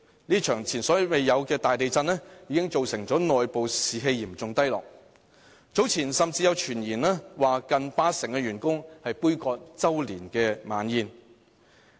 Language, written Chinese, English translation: Cantonese, 這場前所未有的大地震，已造成內部士氣嚴重低落，早前甚至有傳言指有近八成員工杯葛周年晚宴。, This unprecedented earthquake drastically lowered staff morale and it was even rumoured that nearly 80 % of the ICAC staff boycotted the annual dinner . The incident also aroused international concern